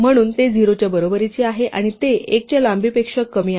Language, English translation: Marathi, So it is greater than equal to 0 and it is strictly lesser the length of l